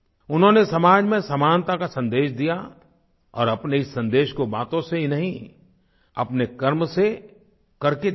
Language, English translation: Hindi, He advocated the message of equality in society, not through mere words but through concrete endeavour